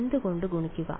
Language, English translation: Malayalam, Multiply by what